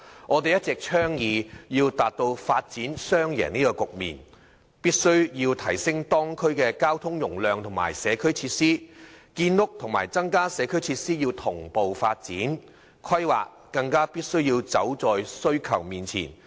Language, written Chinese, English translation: Cantonese, 我們一直倡議要達到發展雙贏的局面，必須提升地區交通容量及社區設施，建屋和增加社區設施同步發展，規劃更必須走在需求前面。, We have been advocating a win - win development by increasing the traffic capacity and community facilities in the local areas . Housing construction and the enhancement of community facilities should be developed in tandem . Planning should even be made before demand arises